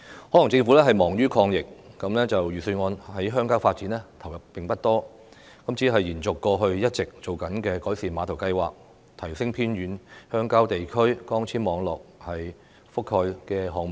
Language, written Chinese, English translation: Cantonese, 可能政府忙於抗疫，預算案對鄉郊發展的投入並不多，只是延續過去一直推行的改善碼頭計劃、提升偏遠鄉郊地區光纖網絡覆蓋的項目。, As the Government may be heavily engaged in fighting the epidemic the Budget has devoted little resources in rural development . The Government simply extends the Pier Improvement Programme and the project to enhance the coverage of optical fibre networks in remote rural areas which have been implemented over the years